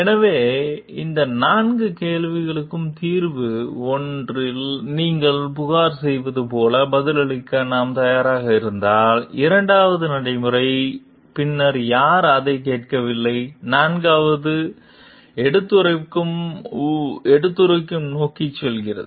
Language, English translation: Tamil, So, if these four questions we are ready to answer like solution 1 is you complain, the 2nd is the procedure, then nobody is listening to it, and 4th is hinting towards the whistle blowing